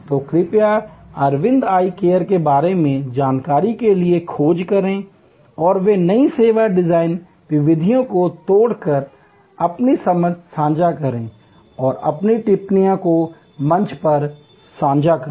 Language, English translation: Hindi, So, please do search for information on Aravind Eye Care and they are path breaking new service design methodologies and share your understanding and share your comments on the forum